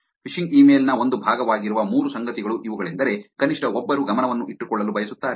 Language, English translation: Kannada, These are the three things that happen that is a part of the phishing email which at least one wants to keep attention on